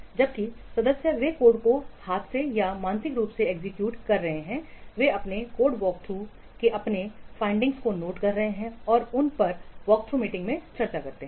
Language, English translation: Hindi, The members while they are executing the code by hand or by mentally they note down their findings of their code work through and discuss those in a work through meeting